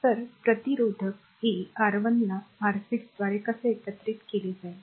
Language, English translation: Marathi, So, how do we will combine resistor R 1 through R 6